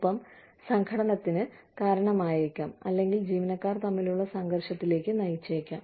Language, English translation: Malayalam, And, can result in conflict, or can lead to conflict, between employees